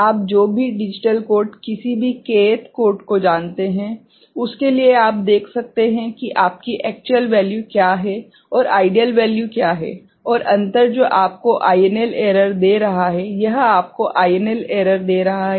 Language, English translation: Hindi, For any you know digital code any k th code, you can see what is the you know actual value, and what is the ideal value the difference that is giving you INL error, this is giving you INL error ok